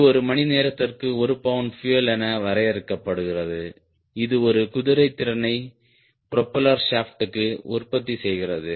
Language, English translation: Tamil, this is defined as pound of fuel per hour to produce one horsepower at the propeller shaft